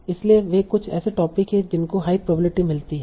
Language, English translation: Hindi, So there are few topics that are getting high probability